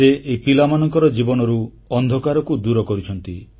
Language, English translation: Odia, He has banished the darkness from their lives